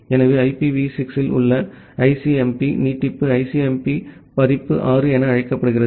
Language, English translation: Tamil, So, the ICMP extension in IPv6 we call it as, ICMP version 6